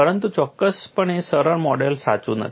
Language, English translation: Gujarati, But definitely the simplistic model is not correct